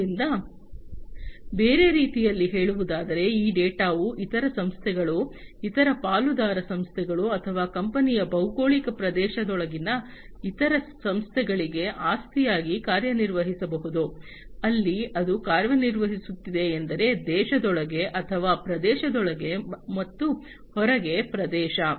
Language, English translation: Kannada, So, you know in other words basically, this data can serve as an asset to other organizations, other partner organizations or even the other organizations within the geographic territory of the company, where it is operating that means within the country or, within the region and outside the region